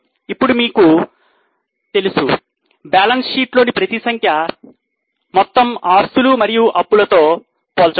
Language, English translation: Telugu, Now, as you know for balance sheet, every figure will be compared with the total of assets and liabilities